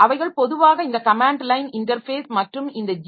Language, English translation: Tamil, So, they normally have both this command line interface as well as this GUI interface